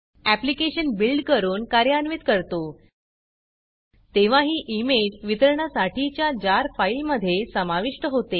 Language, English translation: Marathi, Therefore, when you build and run the application, the image is included in the distributable JAR file